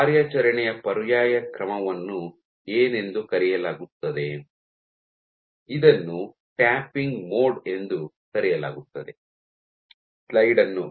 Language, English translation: Kannada, So, what does an alternate mode of operation; which is called the tapping mode